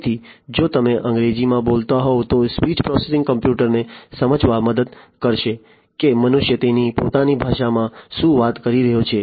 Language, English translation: Gujarati, So, if you are speaking in English the speech processing would help the computers to understand what the humans are talking about in their own language right